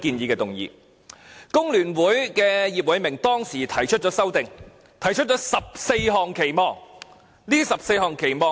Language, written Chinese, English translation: Cantonese, 工聯會的葉偉明當時提出修正案，提出了14項期望。, Mr IP Wai - ming of FTU raised an amendment at that time putting forth 14 expectations